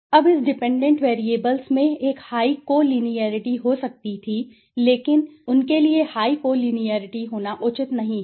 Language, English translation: Hindi, Now, this dependent variables could have a high co linearity could not have it is not advisable to have a high co linearity between them